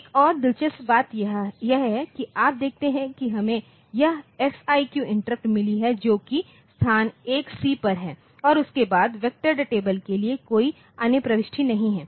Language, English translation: Hindi, Another interesting thing to note is that you see we have got this FIQ interrupt which is at location 1C and after that there is no other entry for the vector table